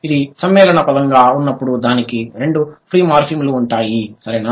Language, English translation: Telugu, When it is a compound word, it will have both the free morphins